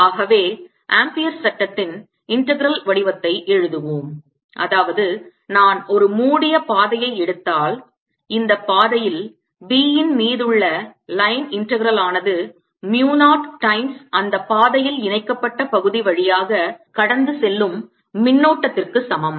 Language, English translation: Tamil, so let's write the integral form of ampere's law, that is, if i take a close path, then the line integral of b over this path is equal to mu, not times a current enclosed, passing through the area enclosed to that path